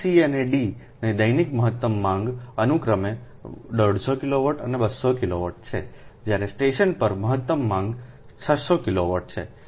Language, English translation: Gujarati, feeder c and d have a daily maximum demand of o e, fifty kilowatt and two hundred kilowatt respectively, while the maximum demand on the station is six hundred kilowatt right